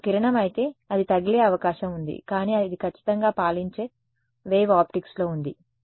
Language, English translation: Telugu, If it were a ray then there is a chance it hit or not, but this is in the wave optics reigning for sure